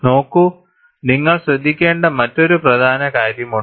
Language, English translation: Malayalam, See, there is also another important aspect that you have to keep in mind